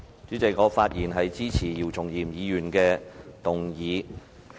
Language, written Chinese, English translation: Cantonese, 主席，我發言支持姚松炎議員提出的議案。, President I rise to speak in support of the motion proposed by Dr YIU Chung - yim